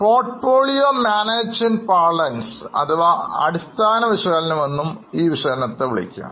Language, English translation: Malayalam, The type of analysis which we are doing in portfolio management parlance, this is known as fundamental analysis